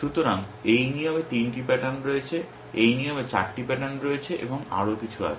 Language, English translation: Bengali, So, this rule has 3 patterns, this rules has 4 patterns and so on and so forth